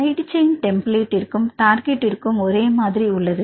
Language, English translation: Tamil, The side chains are the same between the template and the target